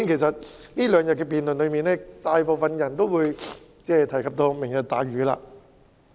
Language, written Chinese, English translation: Cantonese, 在這兩天的辯論中，大部分議員也有提及"明日大嶼"。, In the debates these two days most Members mentioned Lantau Tomorrow